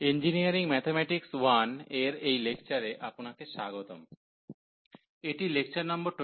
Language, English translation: Bengali, So, welcome to the lectures on Engineering Mathematics 1, and this is lecture number 23